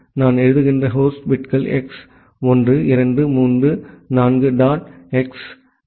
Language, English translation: Tamil, The host bits I am writing as X 1, 2, 3, 4 dot X X X X X X X X